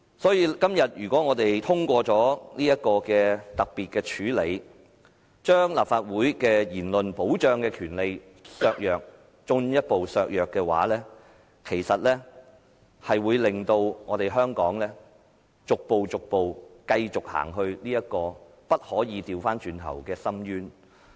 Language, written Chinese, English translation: Cantonese, 所以，今天如果我們通過這項特別處理的議案，把立法會言論受保障的權利進一步削弱的話，其實會令香港繼續逐步走至不能回頭的深淵。, So if we pass this motion to execute this special arrangement and further jeopardize the protection of speeches in the Council we are gradually sinking Hong Kong into an abyss of no return